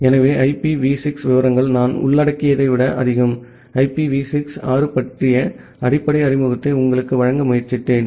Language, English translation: Tamil, So, the IPv6 details are much more than what I have covered, I have just tried to give you a basic introduction about IPv6